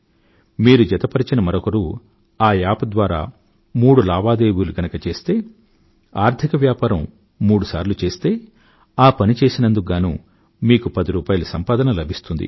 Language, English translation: Telugu, If the new member does three transactions, performs financial business thrice, you stand to earn ten rupees for that